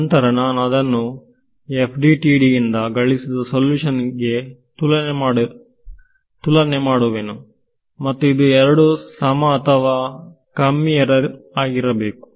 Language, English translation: Kannada, And I will compare that with the computed solution from FDTD, and we would want both of those to be the same or at least control the error